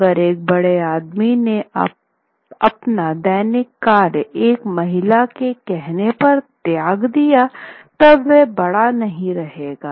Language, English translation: Hindi, That if a big man gave up his daily practice at a woman say, then he wasn't big at all